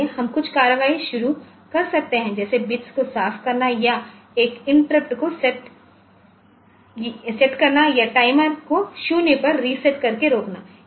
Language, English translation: Hindi, So, we can initiate some action, like setting clearing bits or setting an interrupt or stopping the timer by resetting it to 0